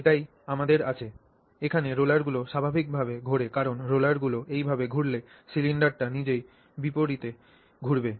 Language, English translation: Bengali, Naturally because the rollers rotate this way, the cylinder itself rotates in the opposite direction, right